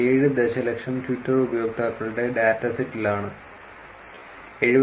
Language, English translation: Malayalam, 7 million Twitter users tracked for two months, they observe that 73